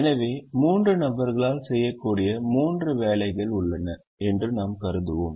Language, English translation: Tamil, so we will assume that there are three jobs that can be done by three people